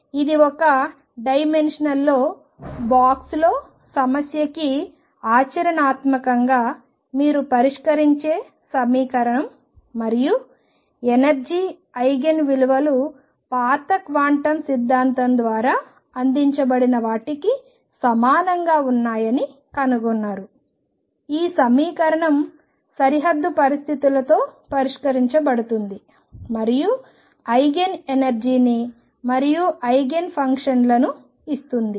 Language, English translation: Telugu, So, this is equation you solve it for one dimensional particle in a box problem and found the energy Eigen values to be the same as those given by old quantum theory the equation is to be solved to be solved with boundary conditions and gives Eigen energies and Eigen functions